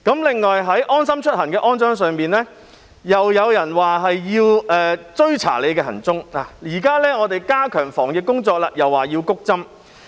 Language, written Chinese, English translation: Cantonese, 另外，就安裝"安心出行"一事，又有人說是為要追查大家行蹤，而現在，當政府加強防疫工作，又有人說是為要"谷針"。, Also regarding the call for installation of the LeaveHomeSafe app some claimed that its purpose was to track everyones whereabouts . Now when the Government steps up its anti - pandemic efforts some describe this as an attempt to boost the vaccination rate